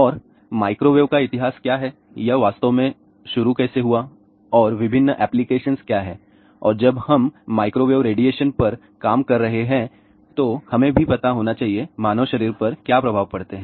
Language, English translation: Hindi, And what is the history of the microwaves, how it really started and what are the different applications and when we are working on microwave radiation, we should also know; what are the effects on the human body